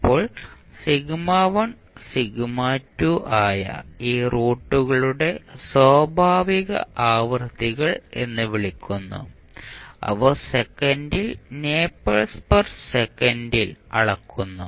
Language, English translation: Malayalam, Now, these 2 roots that is sigma1 and sigma2 are called natural frequencies and are measured in nepers per second